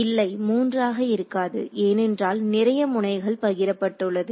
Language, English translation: Tamil, No; they will not be 3 unknowns because many of the nodes are shared right